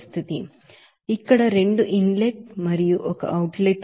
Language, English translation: Telugu, So here two inlet and one outlet is there